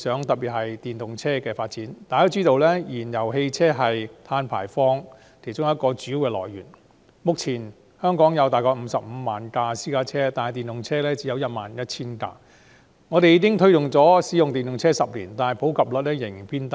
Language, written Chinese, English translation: Cantonese, 大家也知道，燃油汽車是碳排放的主要來源之一，目前全港約有 550,000 輛私家車，但電動車只有 11,000 輛，我們推動使用電動車已有10年，但普及率仍然偏低。, As we all know fuel - driven vehicles is a major source of carbon emissions . At present there are about 550 000 private cars in Hong Kong but only 11 000 electric vehicles . We have been promoting electric cars for a decade yet their prevalence has remained now